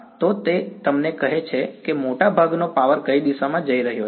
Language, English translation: Gujarati, So, it is telling you that power most of the power is going along which direction